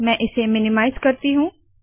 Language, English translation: Hindi, I will minimize this